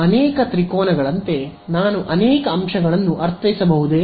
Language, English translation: Kannada, As many triangles I mean as many elements